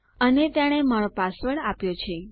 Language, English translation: Gujarati, and see you have typed your password